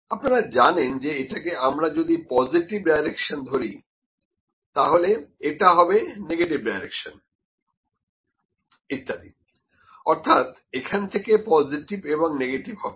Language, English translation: Bengali, You know what will happen if I take it as a positive direction, this as negative direction and so on from here to positive and negative